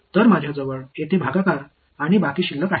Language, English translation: Marathi, So, I have a quotient and I have a remainder over here